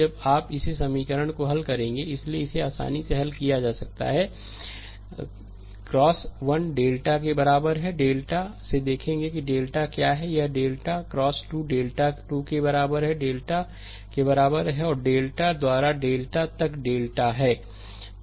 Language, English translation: Hindi, So, it can be easily solved x 1 is equal to delta, 1 by delta will see what is delta 1 or delta x 2 is equal to delta 2 by delta and x n up to the delta n by delta